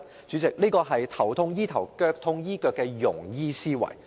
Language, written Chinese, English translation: Cantonese, 主席，這是"頭痛醫頭，腳痛醫腳"的庸醫思維。, President this is the very mindset of a mediocre physician who only treats the symptoms rather than the illness